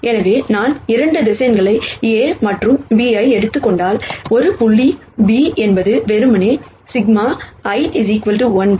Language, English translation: Tamil, So, if I take 2 vectors A and B A dot B is simply sigma I equal to 1 to n a i b i